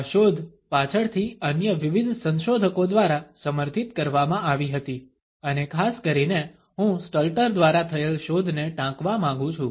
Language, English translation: Gujarati, This finding was later on supported by various other researchers and particularly I would like to quote the findings by Stalter